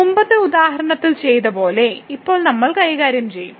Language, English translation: Malayalam, And now we will deal exactly as done in the previous example